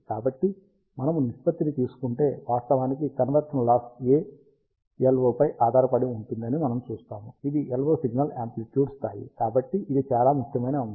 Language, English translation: Telugu, So, if we take the ratio, we see that the conversion loss actually depends on A LO, which is the LO signal amplitude level, so it is very important factor